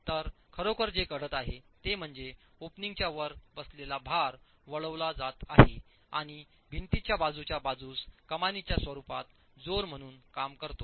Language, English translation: Marathi, So, what's really happening is the load that is sitting on top of the opening is getting diverted and acts as a thrust in the form of an arch to the sides of the walls